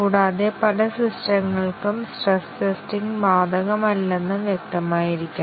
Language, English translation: Malayalam, And, as it is must be clear that for many systems, stress testing may not be applicable